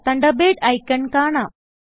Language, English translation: Malayalam, The Thunderbird icon appears